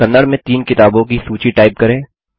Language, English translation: Hindi, Type a list of 3 books in Kannada